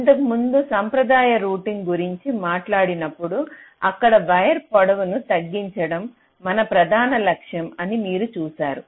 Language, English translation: Telugu, now, you see, earlier, when we talked about the traditional routing, there, our main criteria was to minimize the wire length